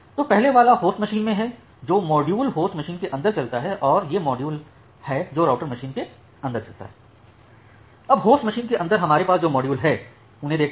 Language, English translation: Hindi, So, the first one is so, this is at the host machine, the module which runs inside the host machine and these are the module which runs inside the router machine